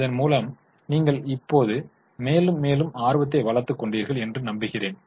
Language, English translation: Tamil, I hope you have developed now more and more interest